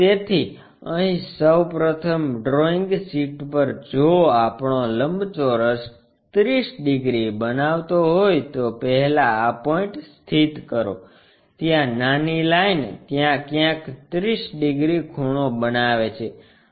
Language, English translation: Gujarati, So, here on the drawing sheet first of all if our rectangle supposed to make 30 degrees, first locate the point this one, smaller one making 30 degrees somewhere there